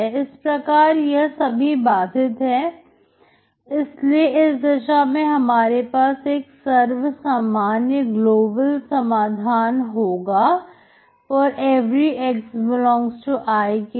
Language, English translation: Hindi, So they are all bounded, therefore in that case you will have a global solution for ∀ x ∈ I